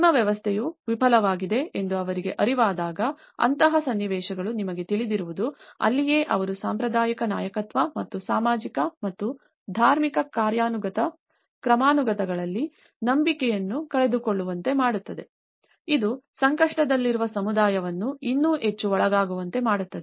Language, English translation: Kannada, That is where such kind of situations you know when they were made aware that your system have failed that is where they leads to the loss of faith in the traditional leadership and hierarchies of the social and the religious order making the distressed community still more prone to the external influence